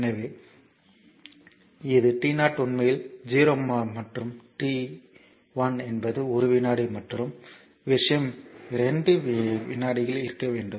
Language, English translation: Tamil, So, t 0 to t 1; so, this is t 0 actually t 0 actually 0 and t 1 is one second right another thing is you want in between 2 second